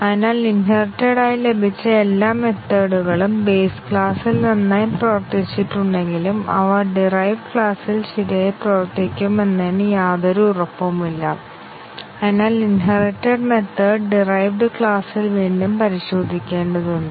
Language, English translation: Malayalam, So, all the inherited methods even though they worked fine in the base class there is no guarantee that they will not work correctly in the derived class and therefore, the inherited method have to be retested in the derived class